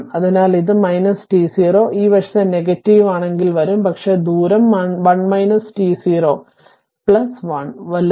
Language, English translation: Malayalam, So, it is minus t 0, if you take the this side negative will come, but distance is 1 minus t 0 minus your t 0 plus 1 right